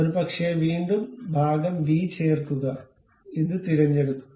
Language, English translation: Malayalam, Perhaps again insert part b pick this one